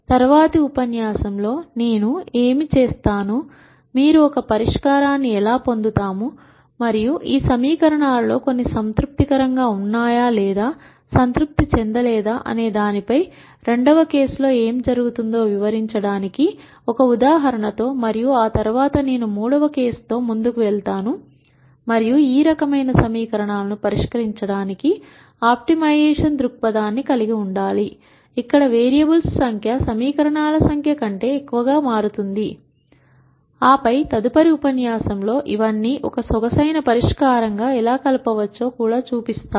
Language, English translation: Telugu, What I will do in the next lecture is, take an example to illustrate what happens in case 2 in terms of how you get a solution and whether some of these equations are satisfied or not satisfied and so on, and after that I will move on to case 3 and show an optimization perspective for solving those types of equations, where the number of variables become greater than the number of equations, and then in the next lecture I will also show how all of this can be combined into one elegant solution through the concept of pseudo inverse